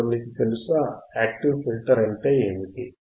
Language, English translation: Telugu, Now you know, what are active filters